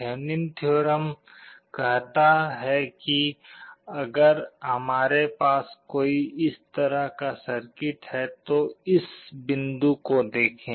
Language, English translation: Hindi, Thevenin’s theorem says that if we have a circuit like this let us look at this point